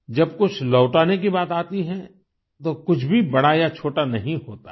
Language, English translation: Hindi, When it comes to returning something, nothing can be deemed big or small